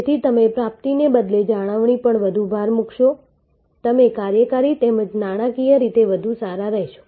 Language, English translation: Gujarati, Therefore, the more emphasis you do to retention rather than to acquisition, you will be better of operationally as well as financially